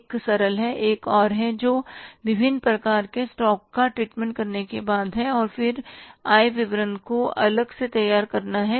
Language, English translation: Hindi, One is a simple, another one is after treating the different type of stocks and then preparing the income statement separately